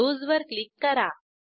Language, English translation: Marathi, Click on Close